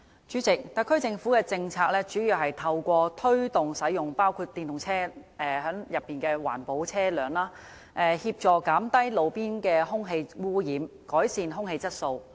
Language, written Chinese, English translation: Cantonese, 主席，特區政府的政策，主要是透過推動使用環保車輛，包括電動車，協助減低路邊的空氣污染，改善空氣質素。, President in the main the policy of the SAR Government aims to promote the use of environment - friendly vehicles including electric vehicles EVs as a means of helping to reduce roadside air pollution and improve air quality